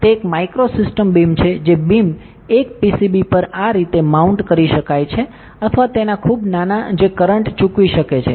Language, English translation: Gujarati, It is a micro system beam that beam can be mounted like this on a pcb or something its very small that can pay currents